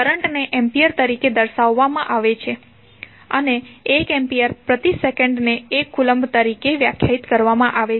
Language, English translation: Gujarati, Current is defined in the form of amperes and 1 ampere is defined as 1 coulomb per second